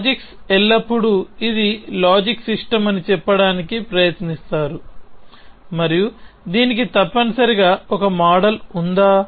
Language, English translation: Telugu, Logics are always tried to say this is the logic system and does it have a model essentially